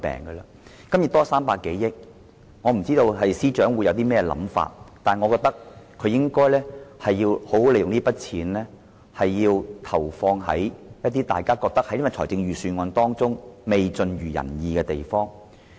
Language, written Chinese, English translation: Cantonese, 對於盈餘多出300多億元，我不知司長有甚麼想法，但我認為他應好好利用這筆錢，投放在一些大家認為預算案未盡如人意的地方。, Although I have no idea what the Financial Secretary thinks about the 30 billion - odd surplus I think it should be put to good use by injecting it into areas where the Budget has failed to live up to expectations